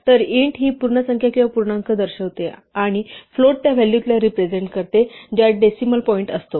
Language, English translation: Marathi, So, int represented whole numbers or integers, and float represented values which have a decimal point